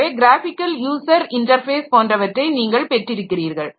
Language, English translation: Tamil, So, you get a graphical user interface and all